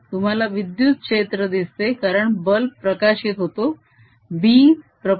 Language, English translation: Marathi, you observe this electric field because the bulb lights up